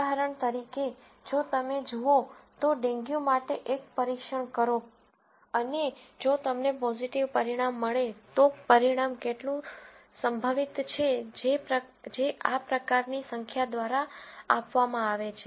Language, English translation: Gujarati, For example,, if you go, do a test for dengue and if you get a positive result, how likely is that result to be correct is given by, this kind of number and so on